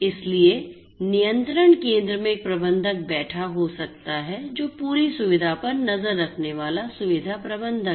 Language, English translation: Hindi, So, there could be a manager sitting in the control station, who is the facility manager taking keeping an eye on the entire facility